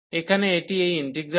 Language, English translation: Bengali, So, here this integral over this